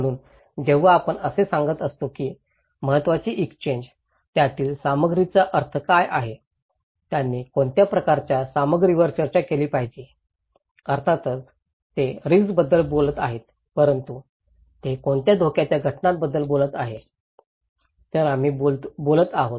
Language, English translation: Marathi, So, when we are saying that the exchange of informations, what is the meaning of content of that, what kind of content they should discuss, of course, they are talking about risk but what is, what component of risk they are talking about, so that’s we are talking okay